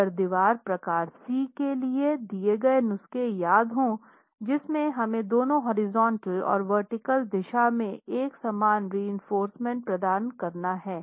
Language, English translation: Hindi, If you remember the prescriptions for wall type C, we need to provide uniform reinforcement in both horizontal and vertical directions